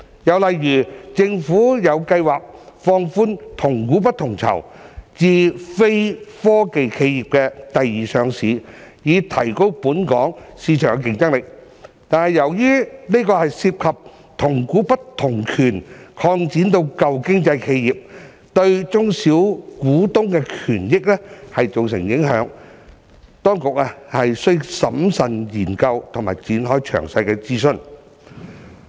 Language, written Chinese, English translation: Cantonese, 又例如，政府有計劃放寬"同股不同權"至非科技企業第二上市，以提高本港市場競爭力，但由於這涉及將"同股不同權"擴展至"舊經濟"企業，對小股東的權益造成影響，當局需審慎研究並展開詳細諮詢。, Another example is that the Government has a plan to relax the application of weighted voting right structure to non - technology enterprises for secondary listing so as to enhance the competitiveness of the Hong Kong market . However since this involves extending the application of weighted voting right structure to old economy enterprises and will affect the rights and interests of minority shareholders the authorities need to carefully study and commence detailed consultation